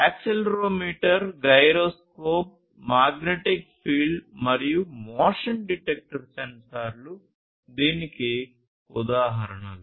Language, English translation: Telugu, Examples would be accelerometer, gyroscope, magnetic field, motion detector sensors, and so on